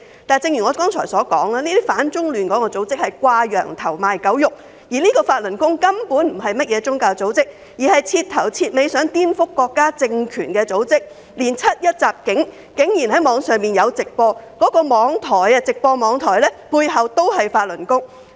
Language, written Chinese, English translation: Cantonese, 不過，正如我剛才所說，這些反中亂港組織是"掛羊頭，賣狗肉"，法輪功根本不是宗教組織，而是徹頭徹尾想顛覆國家政權的組織，竟然在網上直播"七一襲警"事件，而相關網台也有法輪功背景。, However as I have just said these anti - China destabilizing organizations are crying up wine and selling vinegar . Falun Gong is downright not a religious organization but seeks purely to subvert state power . It dared to broadcast online the 1 July attack on a police officer and the Internet station concerned also has Falun Gong background